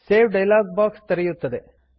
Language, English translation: Kannada, The Save dialog box will open